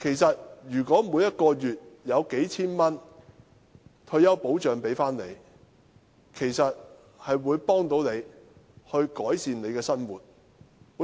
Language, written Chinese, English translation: Cantonese, 但如每月可發放數千元的退休保障，其實便能協助長者改善生活。, Nevertheless if the elderly are offered a monthly grant of a few thousand dollars as retirement protection they can actually live a better life